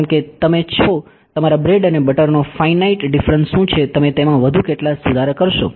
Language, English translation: Gujarati, Because you are what is your bread and butter finite differences how much more corrections will you do in that